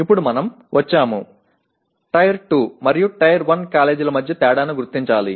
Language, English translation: Telugu, Now we come to, we have to differentiate between Tier 2 and Tier 1 colleges